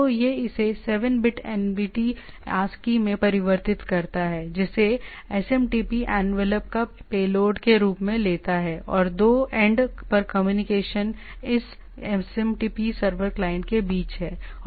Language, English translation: Hindi, So, it converts it to a 7 bit NVT ASCII which the SMTP envelope takes as a payload, and the communication is between this SMPT server client at the 2 end